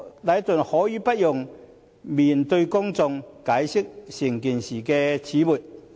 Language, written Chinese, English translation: Cantonese, 禮頓可以不用面對公眾，解釋整件事的始末。, Leighton does not need to face the public to tell the whole story of the incident